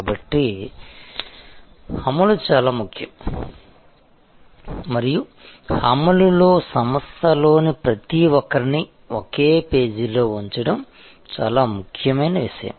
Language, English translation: Telugu, So, execution is very important and in execution, the most important thing is to have everybody on the organization on the same page